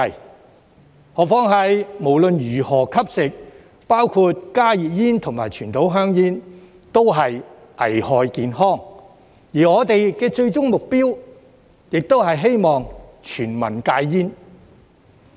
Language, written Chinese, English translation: Cantonese, 更何況，無論如何吸食——包括加熱煙和傳統香煙——均會危害健康，而我們的最終目標亦是希望全民戒煙。, Furthermore smoking―including consuming HTPs and conventional cigarettes―is hazardous to health in any case and our ultimate goal is for everyone to quit smoking